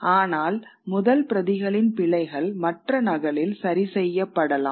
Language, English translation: Tamil, The first set of errors may have been corrected in that other copy